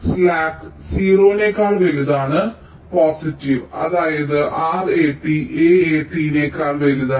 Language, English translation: Malayalam, suppose slack is a value which is greater than zero, positive, which means r a t is greater than a a t